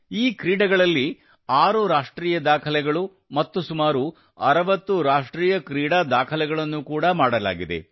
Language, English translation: Kannada, Six National Records and about 60 National Games Records were also made in these games